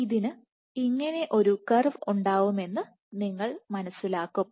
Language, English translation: Malayalam, So, you will realize that this will have a curve something like